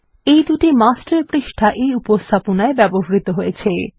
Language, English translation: Bengali, These are two Master Pages that have been used in this presentation